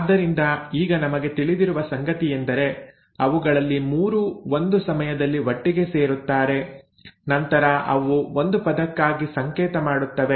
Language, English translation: Kannada, So what we know now is that actually there are 3 of them who come together at a time and then they code for a word